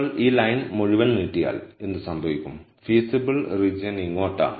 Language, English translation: Malayalam, Then what would happen is if you were to extend this line all the way, then the feasible region is to this side